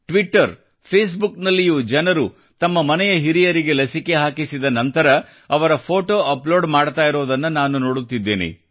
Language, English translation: Kannada, I am observing on Twitter Facebook how after getting the vaccine for the elderly of their homes people are uploading their pictures